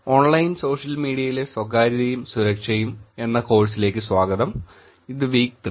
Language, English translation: Malayalam, Welcome back to the course Privacy and Security in Online Social Media, this is week 3